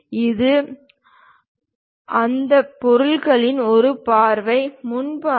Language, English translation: Tamil, And this is one view of that object, the frontal view